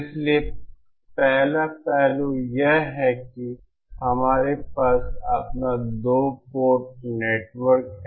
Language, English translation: Hindi, So the first aspect is that we have our two port network